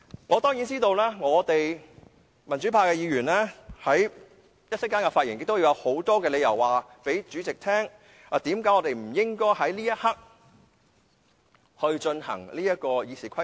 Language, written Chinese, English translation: Cantonese, 我當然知道，民主派議員在接下來的發言中，會告訴主席很多理由，解釋為何我們不應該在這一刻修訂《議事規則》。, I certainly know that Members from the pro - democracy camp will give the President many reasons in their speeches later to explain why we should not amend RoP at this very moment